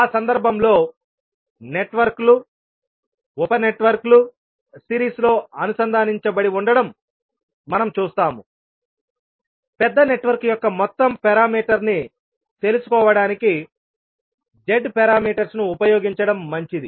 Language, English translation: Telugu, So in that case where we see that the networks, sub networks are connected in series, it is better to utilise the Z parameters to find out the overall parameter of the larger network